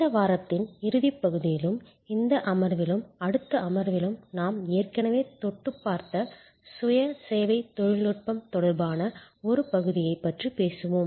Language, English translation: Tamil, In the concluding part of this week, in this session and in the next session we will be covering part of the subject which we have already touched upon earlier, which relates to self service technology